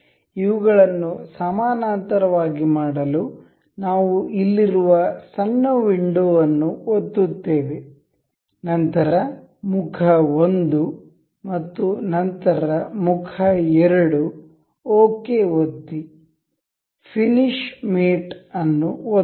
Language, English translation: Kannada, To make this parallel we will click on the small window here, then the phase 1 and then the phase 2, we click on ok, finish mate